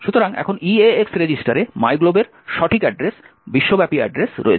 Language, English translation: Bengali, So now EAX register has the correct address of myglob, the global address